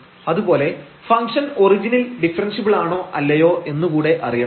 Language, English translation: Malayalam, So, we will determine whether the function is differentiable at the origin or not